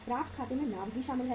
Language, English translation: Hindi, Accounts receivables include the profit also